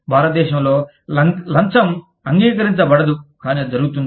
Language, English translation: Telugu, In India, Bribery is not accepted, but it happens